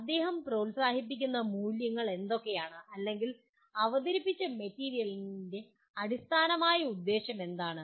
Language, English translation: Malayalam, What are the values he is promoting or what is the intent underlying the presented material